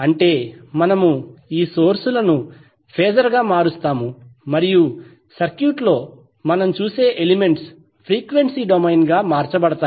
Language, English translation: Telugu, That means we will convert the sources into phasor and the elements which we see in the circuit will be converted into the frequency domain